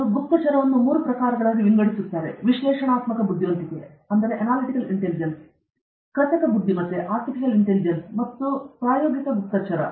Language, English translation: Kannada, He classifies intelligence into three types, analytical intelligence, synthetic intelligence, and practical intelligence